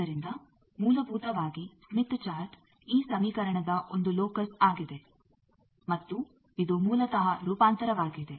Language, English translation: Kannada, So basically, smith chart is a locus of this equation and this is basically a transformation